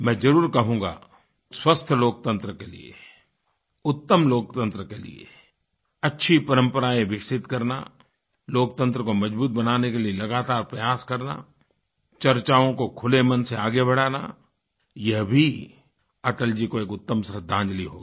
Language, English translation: Hindi, I must say that developing healthy traditions for a sound democracy, making constant efforts to strengthen democracy, encouraging openminded debates would also be aappropriate tribute to Atalji